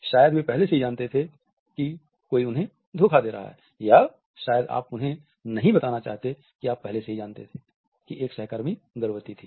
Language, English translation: Hindi, Maybe they already knew that someone was cheating on them or maybe you do not want them to know you already knew a co worker was pregnant